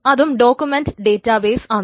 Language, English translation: Malayalam, So, document databases